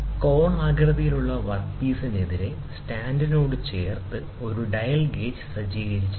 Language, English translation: Malayalam, A dial gauge clamped to the stand is set against the conical work piece